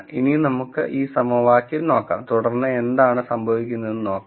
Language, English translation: Malayalam, Now let us look at this equation and then see what happens